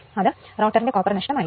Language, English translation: Malayalam, So, rotor copper loss will be 17